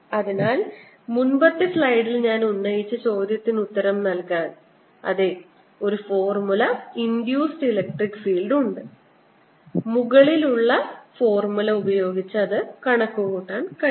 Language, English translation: Malayalam, so to answer that i placed in the previous slide is yes, there is an induced electric field and can be calculated using the formula